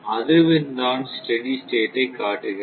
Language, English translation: Tamil, Frequency will show steady state error